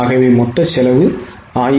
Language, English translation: Tamil, So, total cost is 1